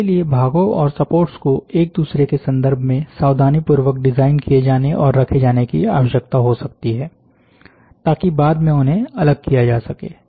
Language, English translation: Hindi, The support generation, this may require parts and support to be carefully designed and placed with respect to each other, so that they can be separated at later time